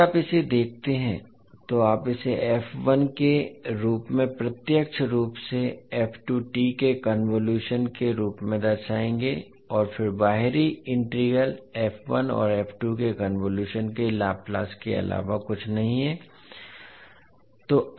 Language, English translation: Hindi, So if you see this you will simply represent it as f1 maybe t convolution of f2 t and then the outer integral is nothing but the Laplace of the convolution of f1 and f2